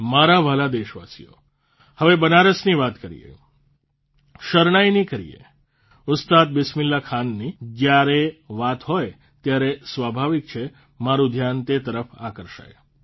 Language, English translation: Gujarati, My dear countrymen, whether it is about Banaras or the Shehnai or Ustad Bismillah Khan ji, it is natural that my attention will be drawn in that direction